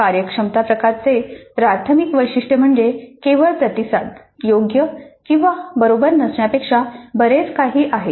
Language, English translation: Marathi, The primary distinguishing feature of a performance type is that there is more than merely the response being correct or not correct